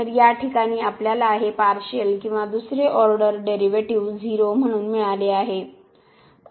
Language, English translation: Marathi, So, in this case we got this partial or a second order derivative as 0